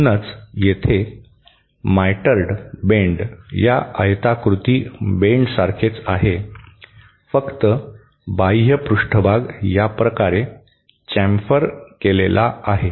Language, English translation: Marathi, So, that is why he mitred bend a similar to this rectangular bend except that the outer surface is chamfered like this